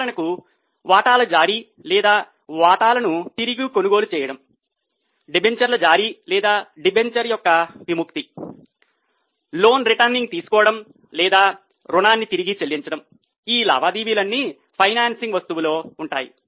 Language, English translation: Telugu, For example, issue of shares or buyback of shares, issue of debentures or redemption of debenture, taking loan, returning or repaying loan, all these transactions would be in the financing item